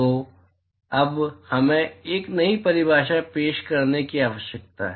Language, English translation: Hindi, So, now we need a introduce a new definition